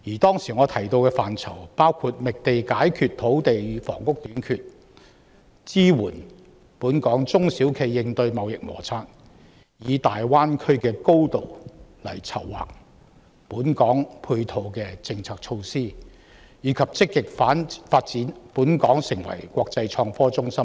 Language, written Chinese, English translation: Cantonese, 當時，我提到的範疇包括覓地解決土地與房屋短缺、支援本港中小企業應對中美貿易摩擦、籌劃香港配合大灣區發展的政策措施，以及積極發展香港成為國際創科中心等。, At the time I mentioned such areas as identifying land to solve the shortage of land and housing supporting local small and medium enterprises SMEs in coping with the United States - China trade conflict planning policies and measures that dovetail with the Greater Bay Area development as well as proactively developing Hong Kong into an international innovation and technology centre